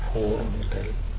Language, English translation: Malayalam, 4 to 2